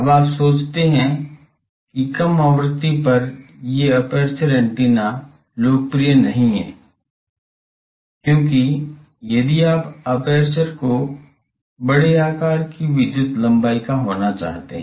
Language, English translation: Hindi, Now you think that at low frequency these aperture antennas are not popular, because if you want to have the aperture to be of sizable electrical length